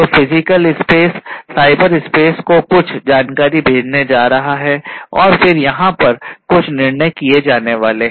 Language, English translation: Hindi, It is going to send certain information to the cyberspace and then some decision is going to be made over here some decision is going to be made